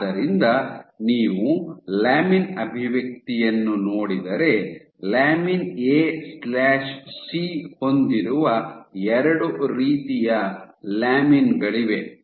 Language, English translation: Kannada, So, if you look at lamin expression so there are two types of lamins in you having lamin A/C